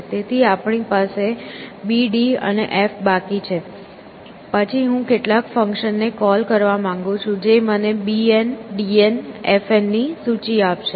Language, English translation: Gujarati, So, we are left with B D and F; then I want to call some function, which will essentially give me this list of B N, D N, F N